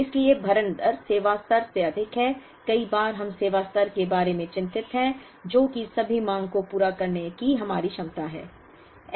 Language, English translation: Hindi, So, the fill rate is higher than the service level, many times we are concerned about the service level, which is our ability to meet all the demand